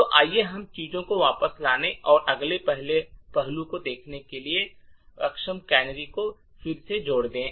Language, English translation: Hindi, So, let us add the disable canaries again just to get things back and look at the next aspect